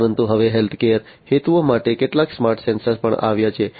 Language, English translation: Gujarati, But now there are some smarter sensors for healthcare purposes that have also come up